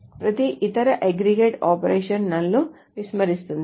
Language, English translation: Telugu, Every other aggregate operation ignores now